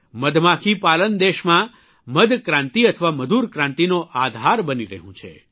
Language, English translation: Gujarati, Bee farming is becoming the foundation of a honey revolution or sweet revolution in the country